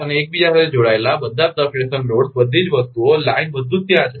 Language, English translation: Gujarati, And interconnection, all the substation loads everything line, everything is there